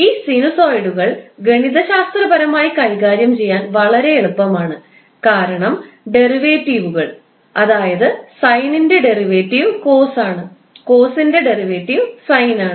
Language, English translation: Malayalam, And these sinusoids are very easy to handle mathematically because the derivative, that is derivative of sine is cause or derivative of cause is sine